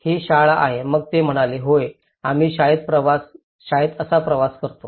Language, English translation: Marathi, this is school then they said yeah this is how we travel to the school